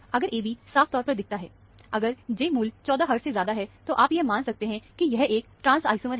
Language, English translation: Hindi, If the AB is clean, seen very clearly, if the J value is more than 14 hertz, then you can assume that, it is a trans isomer